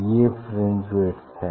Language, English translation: Hindi, this is the fringe width